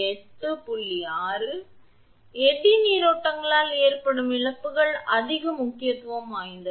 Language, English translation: Tamil, So, the losses due to eddy currents are of greater importance